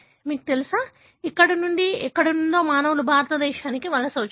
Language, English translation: Telugu, You know, from here somewhere the humans migrated to India